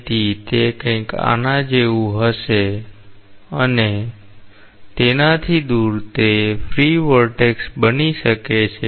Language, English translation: Gujarati, So, it will be something like this and away from that, it may become a free vortex